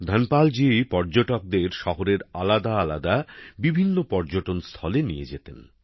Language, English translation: Bengali, Dhanpal ji used to take tourists to various tourist places of the city